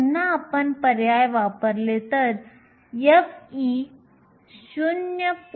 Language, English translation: Marathi, So, again we can substitute you get f of e is 0